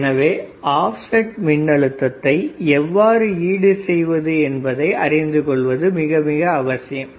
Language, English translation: Tamil, So, the first thing is we have to calculate the maximum offset voltage